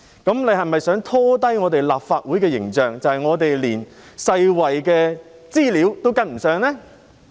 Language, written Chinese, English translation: Cantonese, 譚議員是否想拖低立法會的形象，彷彿我們連世衞的資料都跟不上呢？, Does Mr TAM want to tarnish the image of the Legislative Council as if we even fail to catch up with the information released by WHO?